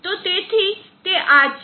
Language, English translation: Gujarati, So that is what this is